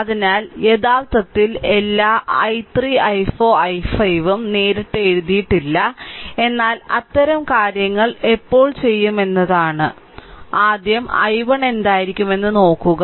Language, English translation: Malayalam, So, later actually we did not write all i 3 i 4 i 5 anything in the problem directly we have written, but when will make such things first thing is what will be the i 1 we have to understand look